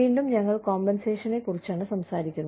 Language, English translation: Malayalam, Again, we are talking about compensation